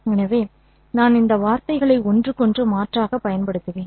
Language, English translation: Tamil, So I will use these words interchangeably